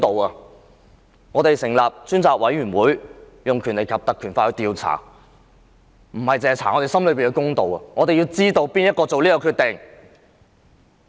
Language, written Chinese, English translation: Cantonese, 委任專責委員會，根據《條例》進行調查，不單是想查出我們心中的公道，而是要知道當天是誰下決定。, The purpose of appointing a select committee to investigate pursuant to the Ordinance is not merely to pursue justice but to find out who made the decisions on that day